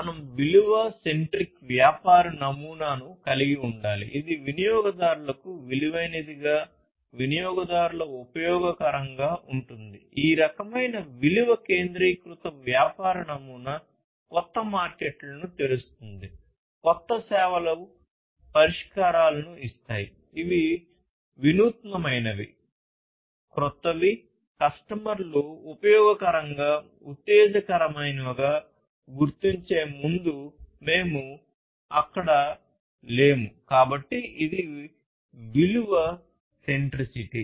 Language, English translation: Telugu, This kind of value centric business model will open up new markets, new services will give solutions, which are innovative, which are new, which we are not there before customers find it useful exciting, and so on; so that is the value centricity